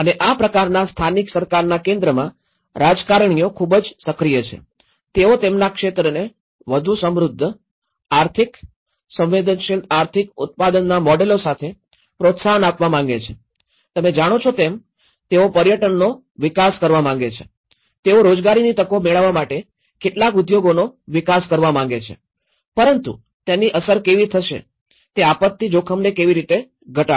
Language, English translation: Gujarati, And in this kind of focus of the local government, the politicians are very much actively engaged in, they want to promote their areas with much more rich economic, sensitive economic generation models you know, they want to develop tourism, they want to develop some of the industries to get the job opportunities but how it will have an impact, how it will can reduce the disaster risk reduction